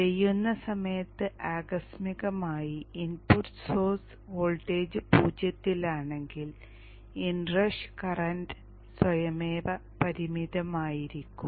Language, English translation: Malayalam, If by chance that at the point in time of turn on the input source voltage is at zero then the inrush current is anyway automatically limited